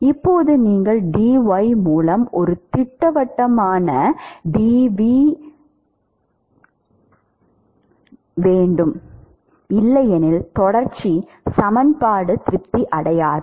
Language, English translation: Tamil, Now, you need to have a definite v dv by dy otherwise the continuity equation will not be satisfied